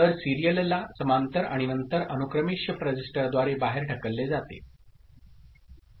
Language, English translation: Marathi, So, parallel to serial and then, serially it is pushed out through a shift register